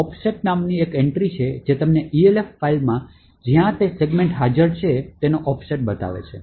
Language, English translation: Gujarati, There is an entry called the offset which tells you the offset in the Elf file, where that segment is present